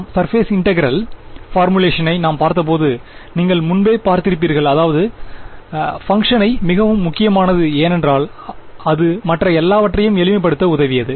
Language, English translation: Tamil, Now when we looked at the surface integral formulation you already saw that knowing that function g was very useful because it helped us to simplify everything else right